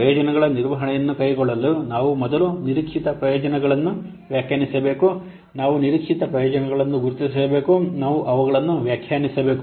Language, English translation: Kannada, In order to carry out this benefits management, we have to define first, we have to first define the expected benefits